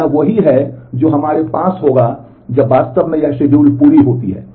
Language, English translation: Hindi, So, this is what we will have when actually this schedule completes